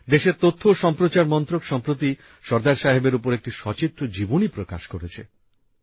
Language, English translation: Bengali, The Information and Broadcasting Ministry of the country has recently published a pictorial biography of Sardar Saheb too